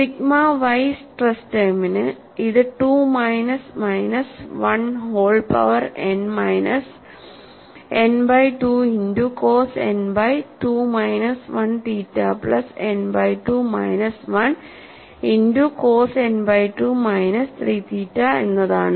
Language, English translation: Malayalam, And for the sigma y stress term is, 2 minus minus1 whole power n minus n by 2 multiplied by cos n by 2 minus 1 theta plus n by 2 minus 1 multiplied by cos n by 2 minus 3 theta